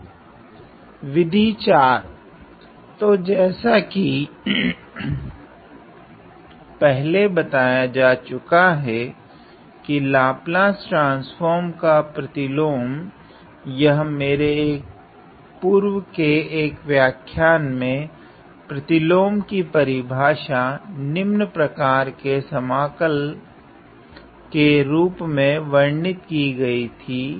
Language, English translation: Hindi, So, the inverse this was earlier described that the inverse of a Laplace transform; it was earlier described in one of my lectures the definition of the inverse follows from this integral